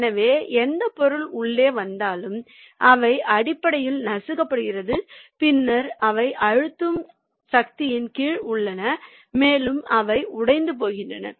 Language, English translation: Tamil, so whatever material is coming in, they are basically nipped and then they are under a compressive force and they they are getting broken